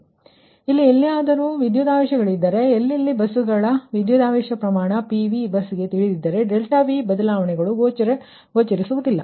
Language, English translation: Kannada, so in that here, those, wherever voltage, wherever the buses, where voltage magnitudes are known for pv bus, those delta v changes will not appear here right